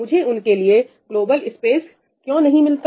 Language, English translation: Hindi, Why cannot I have global space allocated for them